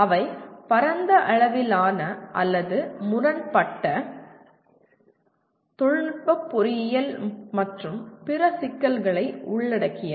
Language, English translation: Tamil, They involve wide ranging or conflicting technical engineering and other issues